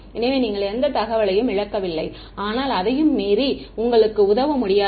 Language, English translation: Tamil, So, that you do not lose any information, but beyond that cannot help you right